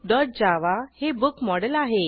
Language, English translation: Marathi, Book.java is a book model